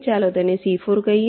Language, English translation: Gujarati, lets call it c four